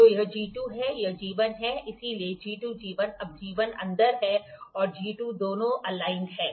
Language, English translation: Hindi, So, G 2, G 1 now G 1 is inside and G 2 both are aligned